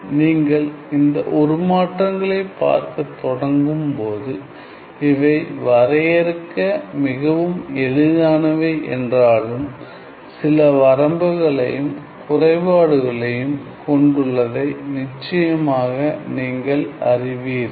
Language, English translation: Tamil, Then you know of course, when we start looking at these transforms, although these transforms were very easy to define, there were some obvious limitations or some deficiencies of these transforms